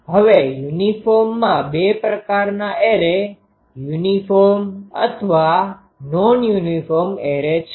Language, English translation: Gujarati, Now uniform there are 2 types of array uniform or non uniform array